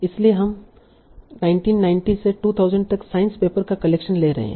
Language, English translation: Hindi, So you are taking collection of science papers from 1990 to 2000